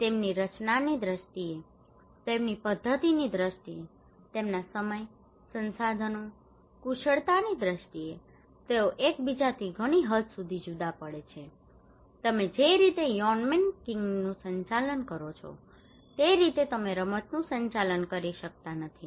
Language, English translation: Gujarati, In terms of their structure, in terms of their method, in terms of their time, resources, skill, they vary from each other great extent the way you conduct Yonnmenkaigi you cannot conduct the game